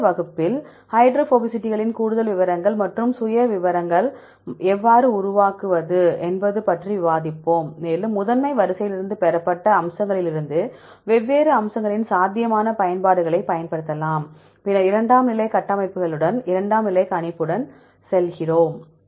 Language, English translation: Tamil, Next class we will discuss about the more details of the hydrophobicitys and the how to construct profiles, and you can use the potential applications of the different aspects from the features obtained from the primary sequence, then we go with the secondary structures secondary prediction and so on